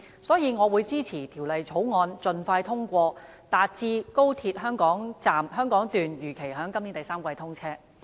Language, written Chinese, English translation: Cantonese, 所以，我會支持《廣深港高鐵條例草案》盡快通過，達致高鐵香港段如期在今年第三季通車。, Hence I will support the speedy passage of the Guangzhou - Shenzhen - Hong Kong Express Rail Link Co - location Bill the Bill to enable the commissioning of XRL in the third quarter this year as scheduled